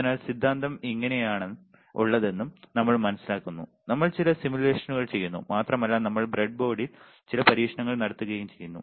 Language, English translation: Malayalam, So, that we also understand that how the theory is there, we do some simulations and we will do some experiments on the breadboard all right